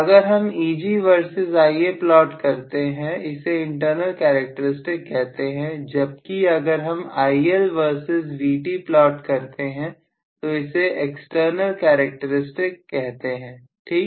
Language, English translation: Hindi, So, when I plot Eg versus Ia I called that as the internal characteristics whereas if I plot IL versus Vt, so Vt versus IL is known as external characteristics, Right